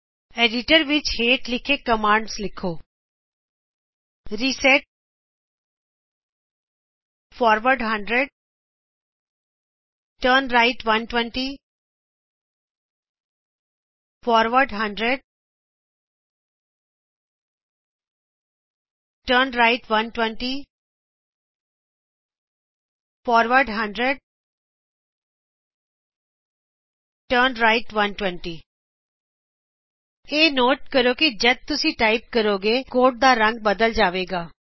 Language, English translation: Punjabi, In your editor, type the following commands: reset forward 100 turnright 120 forward 100 turnright 120 forward 100 turnright 120 Note that the color of the code changes as we type